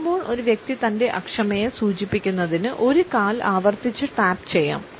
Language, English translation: Malayalam, While standing a person may repeatedly tap a foot to indicate this impatience